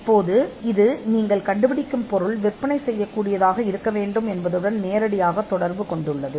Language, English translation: Tamil, Now, this had a direct connect with the fact that what you are inventing should be sellable